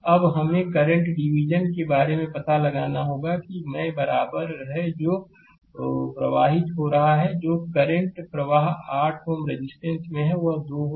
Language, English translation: Hindi, Now, we have to the current division will find out i is equal to right it is flowing what is the current flowing to 8 ohm resistance it will be 2 right